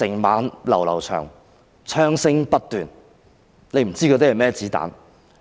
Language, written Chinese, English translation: Cantonese, 漫漫長夜，槍聲不斷，不知哪些是甚麼子彈。, The night was long the sounds of gunfire were incessant and there was no knowing what kinds of bullets were fired